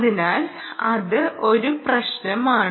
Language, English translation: Malayalam, ok, so that is a problem